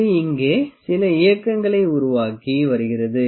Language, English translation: Tamil, It is making some movement here